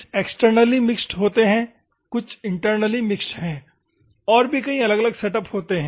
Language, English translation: Hindi, It some are externally mixed, some are the internally mixed and different setups